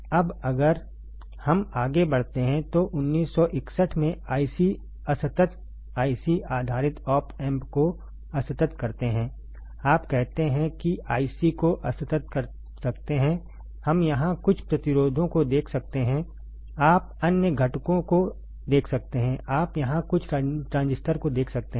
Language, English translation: Hindi, Now, if we move to further then discrete IC discrete IC based op amps in 1961, you say discrete IC we can see here some resistors, you can see other components, you can see here some transistors right